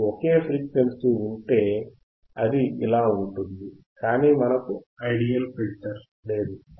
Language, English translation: Telugu, If you have only one frequency, only one frequency then it goes like this right, but we have, we do not have ideal filter we do not have ideal filter